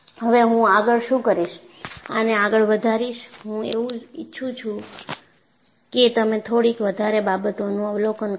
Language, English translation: Gujarati, Now, what I will do is, I will magnify this further and I want you to observe a few more things